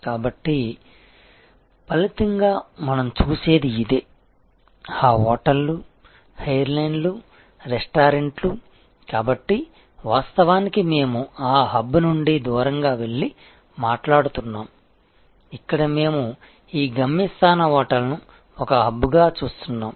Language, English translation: Telugu, So, as a result, what we see is like this, that hotels, airlines, restaurants, so this is actually we are moving away from that hub and spoke, where we were looking at this destination hotel as the kind of a hub